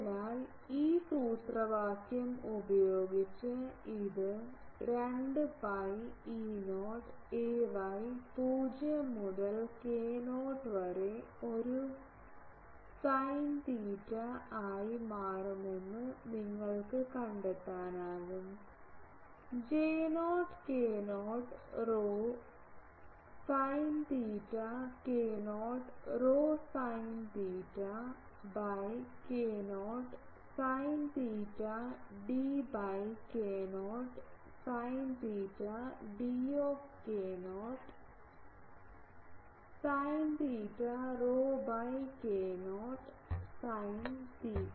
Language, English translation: Malayalam, So, with this formula you can find out that this will become 2 pi E not ay 0 to k 0 a sin theta J not k not rho sin theta k not rho sin theta by k not sin theta d of k not sin theta sorry k not sin theta rho by k not sin theta